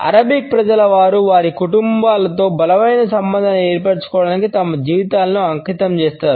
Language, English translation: Telugu, In some countries people dedicate their lives to build a strong relationship with their families like the Arabic people